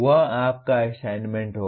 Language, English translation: Hindi, That will be your assignment